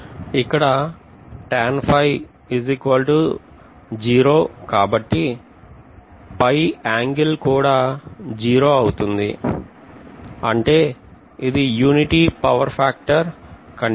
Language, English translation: Telugu, From here I can say tan phi is 0, which means it is going to be unity power factor condition